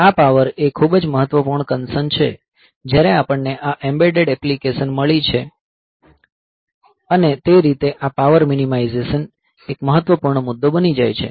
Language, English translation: Gujarati, So, this power is a very important concern, when we have got these embedded applications and that way this power minimization becomes an important issue